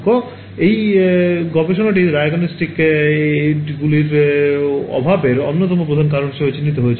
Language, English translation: Bengali, So, that study also identified one of the main reasons was a lack of diagnostic aids